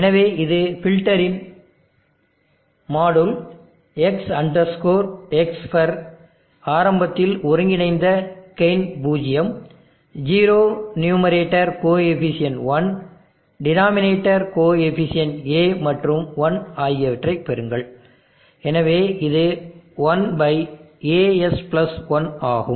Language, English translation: Tamil, So this is the module of the filter S X FER gain the integral initial conditions zero, zero numerator coefficient 1, denominator coefficient A and 1, so it is 1/AS + 1